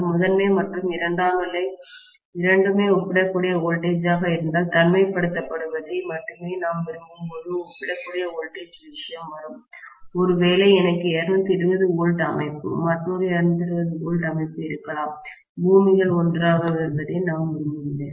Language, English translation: Tamil, If both primary and secondary are of comparable voltage, the comparable voltage thing will come up when I want only isolation to be established, maybe I have a 220 volts system, another 220 volts system, I don’t want the earths to be coming together